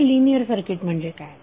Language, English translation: Marathi, Now what is a linear circuit